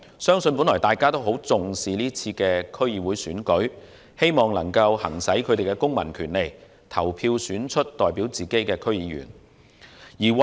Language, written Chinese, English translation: Cantonese, 相信大家都十分重視這次區選，希望能夠行使公民權利，投票選出代表自己的區議員。, I believe everyone of us attaches great importance to the election and hopes to exercise our civil rights to elect DC members to serve as our representatives